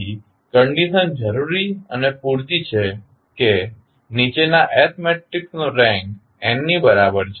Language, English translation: Gujarati, So, the condition is necessary and sufficient that the following S matrix has the rank equal to n